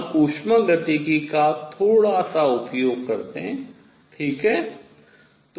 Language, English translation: Hindi, We use a little bit of thermodynamics, right